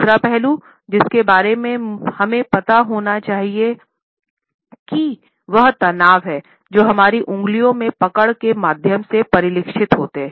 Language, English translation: Hindi, Another aspect we have to be aware of is the tension which is reflected through the grip in our fingers